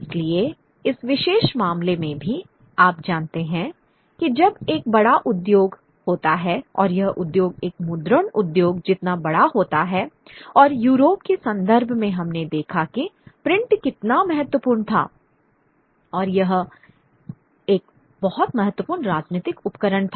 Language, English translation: Hindi, So even in this particular case, you know, when there is a large industry and industry as big as the printing industry and in the context of Europe that we saw the how how print was very importantly political, you know, was a very important political tool